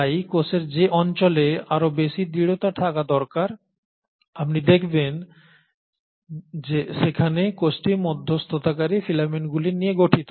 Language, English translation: Bengali, So in regions of the cell where there has to be much more rigidity required you will find that the cell consists of intermediary filaments